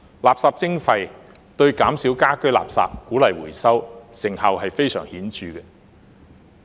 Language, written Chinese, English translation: Cantonese, 垃圾徵費對減少家居垃圾、鼓勵回收，成效非常顯著。, The effect of waste charging in reducing domestic waste and encouraging recycling is rather obvious